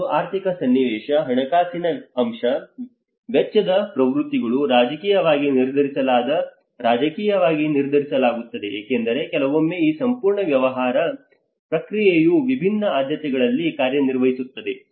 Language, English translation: Kannada, And the economic context, the financial aspect, the expenditure trends, the politically which are politically determined because sometimes this whole business process will works in a different priorities